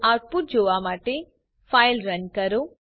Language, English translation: Gujarati, So Let us run the file to see the output